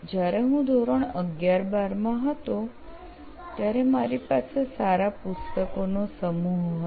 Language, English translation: Gujarati, When I am in the class 11th 12th, we had a good set of books there